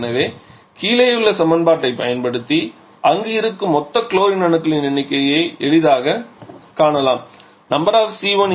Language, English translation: Tamil, So, from there we can easily found the number of total chlorine that is present there